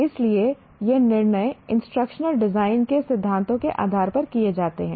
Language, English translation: Hindi, So these are the decisions are made based on the principles of instruction design